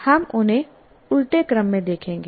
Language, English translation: Hindi, So we'll look at them in the reverse order